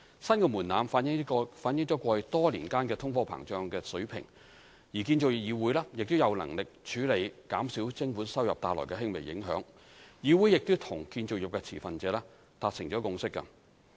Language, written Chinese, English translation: Cantonese, 新的門檻反映過去多年間通貨膨脹的水平，而建造業議會亦有能力處理減少徵款收入帶來的輕微影響，議會亦與建造業持份者達成共識。, The new thresholds reflect the inflation levels in the past few years and the Construction Industry Council is capable of handling the slight impact of reducing levy incomes and it has already reached a consensus with the stakeholders in the construction industry